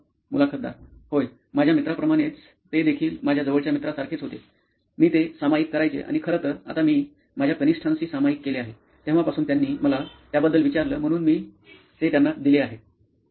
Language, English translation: Marathi, Yeah, like my friends, they were like close friends of mine, I used to share it and in fact now I’ve shared it with my juniors since, they asked me for it, so I have given it to them